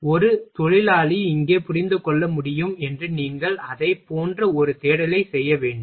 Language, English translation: Tamil, So, that a worker can understand here you will have to make a search of that something like that